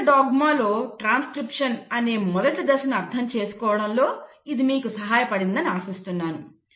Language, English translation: Telugu, Hopefully this has helped you understand the first step in Central dogma which is transcription